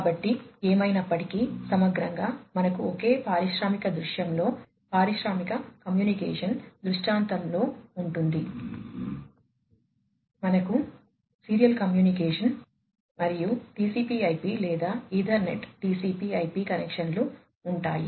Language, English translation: Telugu, So, anyway so, holistically we will have in a single industrial scenario industrial communication scenario, we will have serial communication, Ethernet net communication, and TCP/IP, or rather Ethernet TCP/IP connections